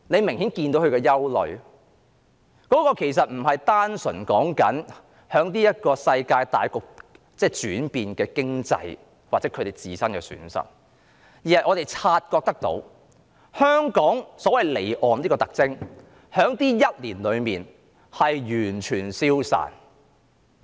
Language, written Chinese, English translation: Cantonese, 他們的憂慮其實並非單純針對現今世界大局——即經濟轉變——或他們自身的損失，而是——我們察覺到——香港這個所謂離岸的特徵在這一年內完全消失。, Their worries actually do not purely stem from the general situation around the world that is the economic volatilities or their own losses but the fact that as we have noticed the feature of Hong Kong staying offshore so to speak has completely vanished this year